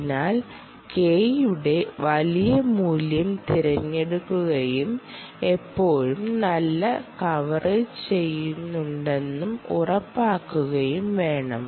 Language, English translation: Malayalam, so therefore you have to choose between a very large value of k and ensure that you still do a good coverage right